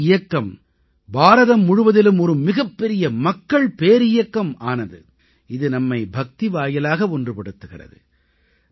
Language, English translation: Tamil, The Bhakti movement became a mass movement throughout India, uniting us through Bhakti, devotion